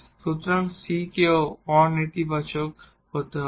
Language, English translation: Bengali, So, this c has to be non negative